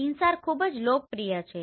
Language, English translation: Gujarati, So it is InSAR is very popular